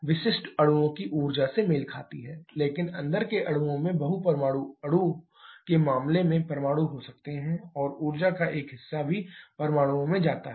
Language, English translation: Hindi, Specific corresponds to the energy of the molecules, but inside molecules can have atoms in case of multi atomic molecules and a portion of the energy also goes to the atoms